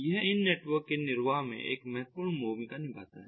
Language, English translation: Hindi, it plays a crucial role in the sustenance of these networks